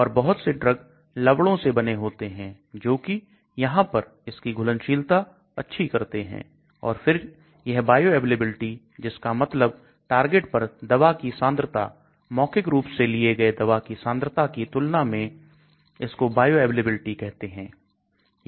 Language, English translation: Hindi, And so many of the drugs are made into salts so that it improves the solubility here and then this bioavailability that means the concentration of the drug at the target as against the concentration that is given orally, that is called bioavailability